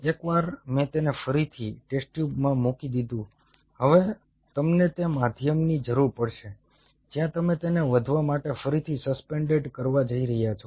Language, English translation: Gujarati, once i put it back in the test tube now, you will be needing the medium where you are going to resuspend it to grow